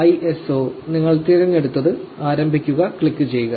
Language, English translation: Malayalam, 04 ISO that we just downloaded and click start